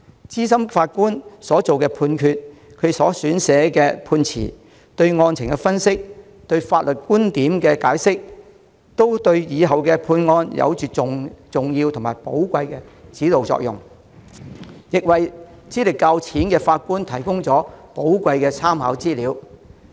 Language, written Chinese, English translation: Cantonese, 資深法官作出的判決、撰寫的判詞、對案情的分析、對法律觀點的解釋，對日後案件的判決有着重要和寶貴的指導作用，亦為資歷較淺的法官提供寶貴的參考資料。, The judgment made by a senior judge his written judgment his analysis of the case and his interpretation of the points of law will provide important and valuable guidance for the judgment of future cases and also serve as valuable reference materials for judges with less experience